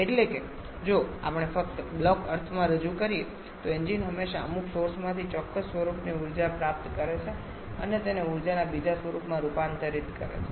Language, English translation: Gujarati, That is, if we just represent in a block sense, an engine always corresponds to the receiving energy of a certain form from some source and converting that to another form of energy